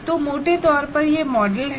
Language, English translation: Hindi, So broadly, that is a model that has been given